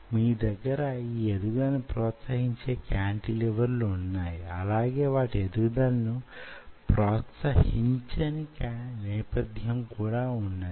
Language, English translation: Telugu, now you have the cantilevers, which will promote the growth, and you have the background, which will not promote the growth